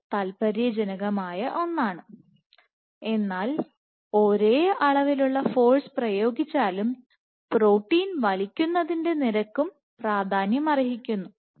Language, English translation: Malayalam, This is something very interesting, but it also says that even if the same magnitude of force is exerted the rate at which a protein is pulled also matters